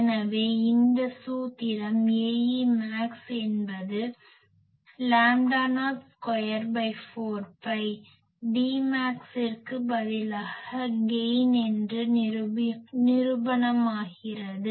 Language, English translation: Tamil, So, this formula is proved that A e max is lambda not square 4 pi instead of D max we are calling it gain